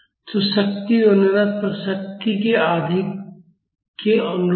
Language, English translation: Hindi, So, the power is correspond to half that of the power at resonance